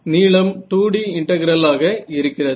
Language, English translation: Tamil, So now, this is a 2D integral